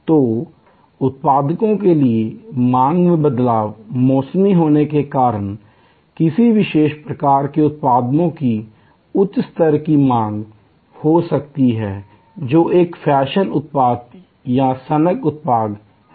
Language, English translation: Hindi, So, demand variation in products, goods are there due to seasonality, there may be a higher level of demand for a particular type of product, which is a fashion product or a fad product